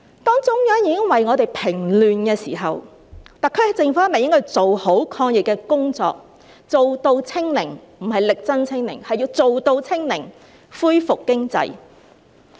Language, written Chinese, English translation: Cantonese, 當中央已為我們平亂時，特區政府是否應該要做好抗疫工作，做到"清零"——不是力爭"清零"，而是要做到"清零"——恢復經濟？, When the Central Government has already quelled the social unrest for us should the SAR Government do the anti - epidemic work well by achieving zero infection―it must achieve zero infection rather than striving to achieve zero infection― and reviving the economy?